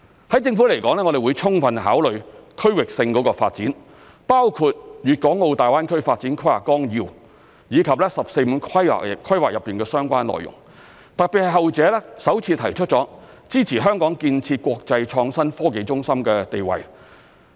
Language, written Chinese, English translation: Cantonese, 對政府來說，我們會充分考慮區域性發展，包括《粵港澳大灣區發展規劃綱要》以及"十四五"規劃的相關內容，特別是後者首次提出支持香港建設國際創新科技中心的地位。, The Government will give due consideration to regional development including the details of the Outline Development Plan for the Guangdong - Hong Kong - Macao Greater Bay Area GBA and the 14 Five - Year Plan . In particular the 14 Five - Year Plan has for the first time proposed to support the construction of an international centre for innovation and technology in Hong Kong